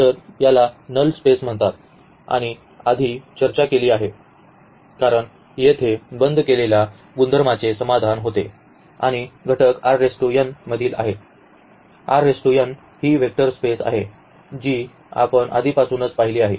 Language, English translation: Marathi, So, this is called null space and has discussed before because here also those closure properties are satisfied and the elements are from R n; R n is a vector space already we have seen